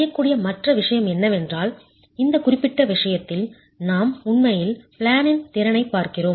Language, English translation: Tamil, The other thing that can be done is in this particular case we are really looking at in plane capacity